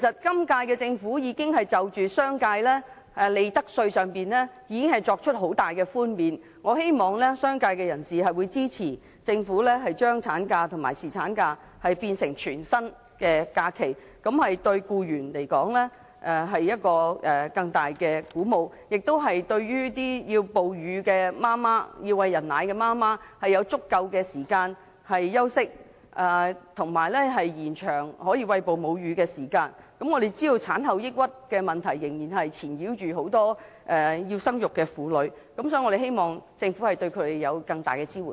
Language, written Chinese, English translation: Cantonese, 今屆政府在利得稅上已經對商界作出了很大的寬免，我希望商界人士會支持政府把產假及侍產假變成全薪假期，這對僱員來說是更大的鼓舞，哺乳的媽媽有足夠時間休息，亦可以延長餵哺母乳的時間，我們知道產後抑鬱的問題仍然困擾很多要生育的婦女，所以，我們希望政府對她們提供更大的支援。, I hope the business sector will support maternity and paternity leave with full pay which will offer greater encouragement to employees . In this way breastfeeding mothers will have sufficient rest time and the breastfeeding period can be prolonged . We understand that postpartum depression is still haunting many women intent on giving birth so we hope the Government can provide them with greater support